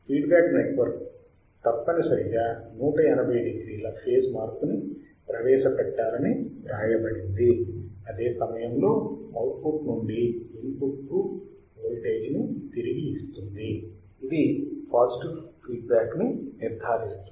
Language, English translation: Telugu, This is what is written that the feedback network must introduce a phase shift of 180 degree, while feeding back the voltage from output to the input this ensures the positive feedback